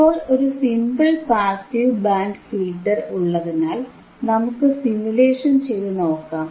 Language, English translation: Malayalam, Now if there is a simple passive band pass filter, then let us do the simulation